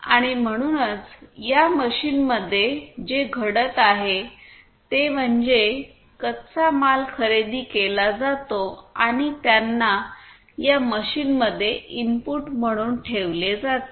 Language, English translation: Marathi, And so, in this machine what is happening is the raw materials are procured and they are put as input to this machine